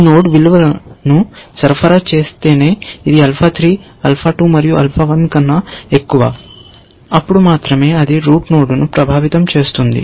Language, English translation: Telugu, Only if this node supplies the value, which is higher than alpha 3 and higher than alpha 2 and higher than alpha 1; will it influence the route node, essentially